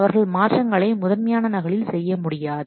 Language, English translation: Tamil, He cannot just do the change on the master copy